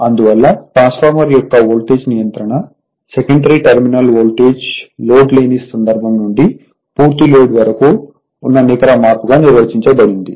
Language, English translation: Telugu, Therefore, the voltage regulation of transformer is defined as the net change in the secondary terminal voltage from no load to full load right